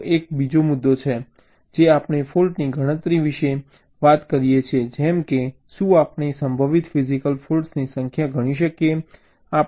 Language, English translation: Gujarati, we talk about fault enumeration, like: can we count the number of possible physical defects